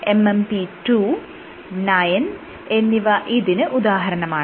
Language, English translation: Malayalam, Examples are MMP 2, 9 etcetera